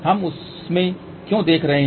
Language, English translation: Hindi, Why we are looking into that